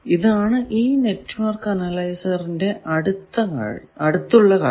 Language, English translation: Malayalam, So, this is about network analyzer